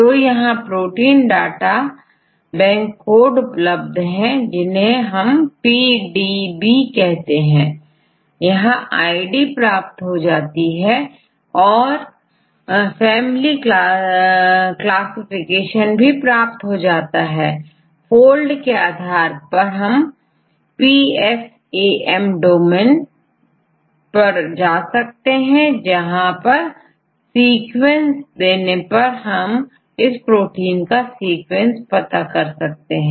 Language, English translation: Hindi, So, they give the codes for the protein databank this is called the PDB right they have they give the ids then give the family classification right based on the folds and there are the classifications PFAM domains and so on right, then give a sequence here this is the sequence of their particular a protein